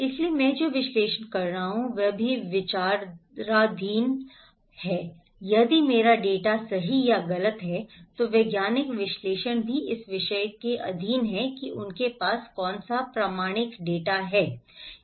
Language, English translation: Hindi, So, what I am analysing is also under considerations if my data is right or wrong, the scientific analysis is also under subject of that what authentic data they have